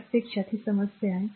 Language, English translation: Marathi, So, this is the problem actually